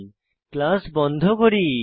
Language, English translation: Bengali, Then we close the class